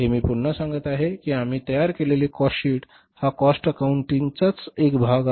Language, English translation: Marathi, Again, I repeat that the cost sheet which we are preparing, there is a part of cost accounting